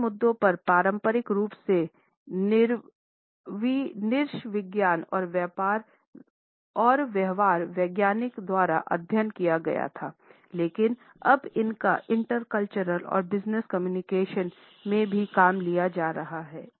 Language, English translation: Hindi, These issues were traditionally studied by ethnologist and behavioral scientist, but they are now being taken up in intercultural and business communications also